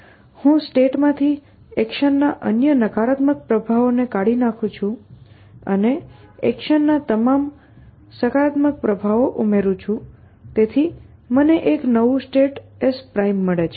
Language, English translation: Gujarati, I remove everything which other negative effects of the action from the state and add all the positive effects of the action, so I get a new state s prime